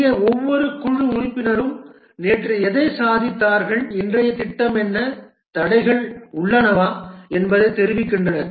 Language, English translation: Tamil, Here each team member informs what was achieved yesterday and what is the plan for today and are there any obstacles